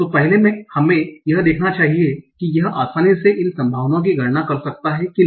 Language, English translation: Hindi, So, firstly, let us see that can we easily compute these probabilities, probability W